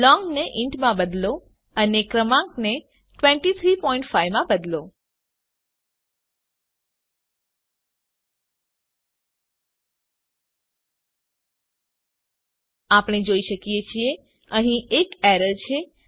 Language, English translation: Gujarati, Change long to int and change the number to 23.5 As we can see, there is an error